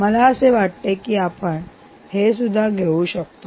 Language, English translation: Marathi, i think i can take this as well